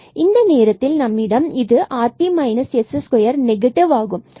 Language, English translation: Tamil, So, this time now this rt minus s square is negative